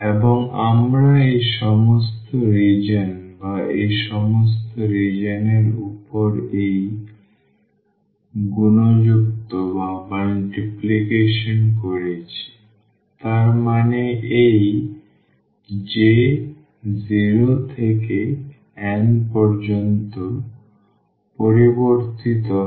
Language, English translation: Bengali, And we are adding all these regions or this multiplication over these all regions; that means, this j is varying from 0 to n